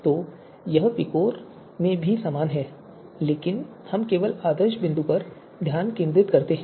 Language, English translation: Hindi, So this is also VIKOR is also similar but we only focus on the ideal point